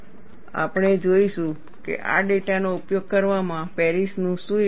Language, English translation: Gujarati, We would see, what is the contribution of Paris in utilizing this data